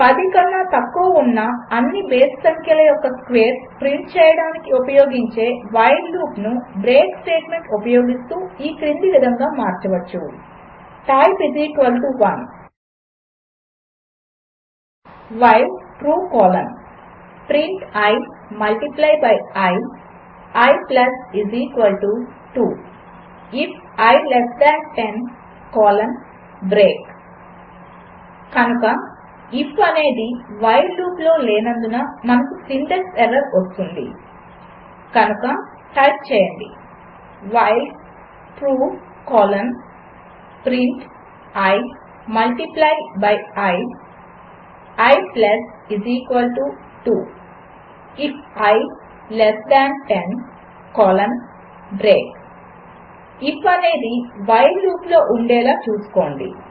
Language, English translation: Telugu, The while loop to print the squares of all the odd numbers below 10, can be modified using the break statement, as follows Type = 1 while True colon print i multiply by i i += 2 if i is less than 10 colon break So we got a syntax error because if is not inside the while loop So type while True colon print i multiply by i i += 2 if i less than 10 colon break Make sure that if is inside the while loop